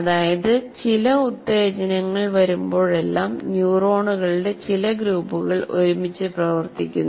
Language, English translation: Malayalam, And whenever a stimulus comes to you, whenever there is a stimulus, it causes a group of neurons to fight fire together